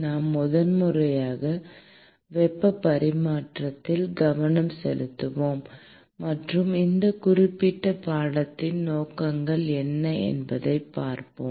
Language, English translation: Tamil, We will focus primarily on heat transfer and let us look at what are the objectives of this particular course